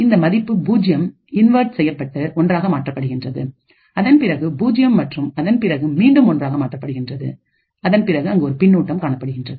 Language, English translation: Tamil, So, this gets 0 gets inverted to 1 then 0 and then 1 again and then there is a feedback